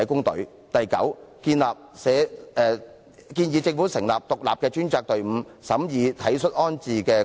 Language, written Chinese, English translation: Cantonese, 第九，我們建議政府成立獨立專責隊伍，審議體恤安置的個案。, Ninth we propose that the Government set up an independent task force to examine cases of compassionate rehousing